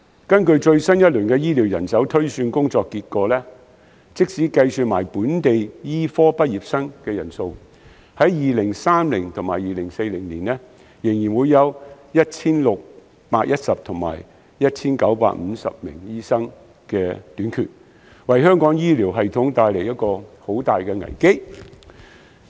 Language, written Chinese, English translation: Cantonese, 根據最新一輪的醫療人手推算工作結果，即使計及本地醫科畢業生的人數，香港在2030年和2040年仍會分別欠缺 1,610 名和 1,950 名醫生，為香港醫療系統帶來重大危機。, According to the results of the latest round of study on Healthcare Manpower Projection even after taking into account the number of local medical graduates Hong Kong will still be short of 1 610 and 1 950 doctors by 2030 and 2040 respectively indicating a major crisis to our healthcare system